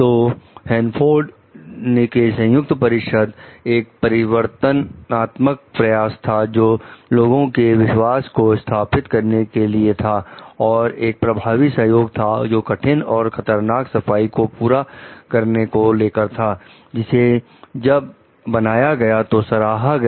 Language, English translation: Hindi, So, the Hanford Joint Council was an innovative attempt to restore public trust and secure effective cooperation in an accomplishing difficult and dangerous cleanup, which received praise, when it was formed